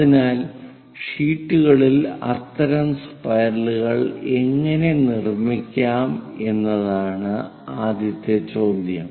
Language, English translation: Malayalam, So, the first question is how to construct such kind of spirals on sheets